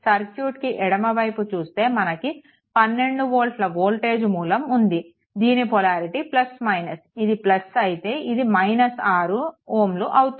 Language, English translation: Telugu, So, this one this, this side if you look into that this is 12 volt source and polarity is plus minus this is plus this is minus 6 ohm